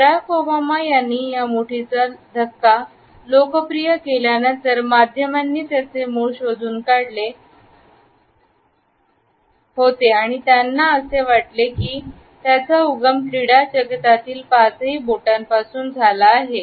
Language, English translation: Marathi, After Barack Obama had popularized this fist bump media had started to trace it’s origins and he felt that it had originated from the high five of the sports world